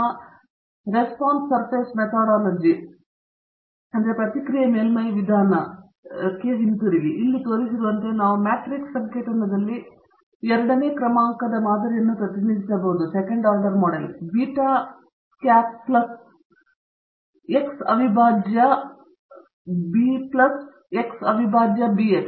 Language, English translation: Kannada, So, coming back to our Response Surface Methodology approach, we can represent the second order model in matrix notation as shown here; beta naught hat plus x prime b plus x prime BX